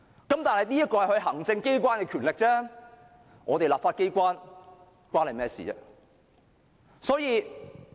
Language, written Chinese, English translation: Cantonese, 但是，這只是行政機關的權力，與我們立法機關無關。, Nevertheless such powers of the Executive Authorities have nothing to do with the legislature